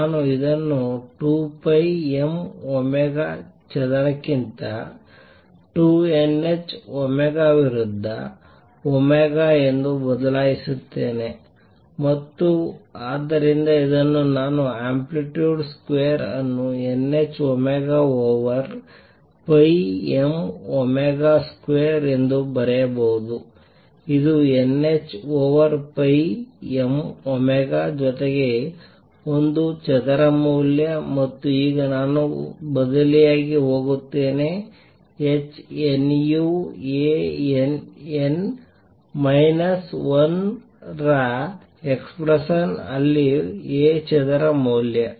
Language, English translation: Kannada, I change this to omega against 2 n h omega over 2 pi m omega square and therefore, I can write the amplitude square as n h omega over pi m omega square which is n h over pi m omega plus A square value and now I am going to substitute that A square value in the expression for h nu A n, n minus 1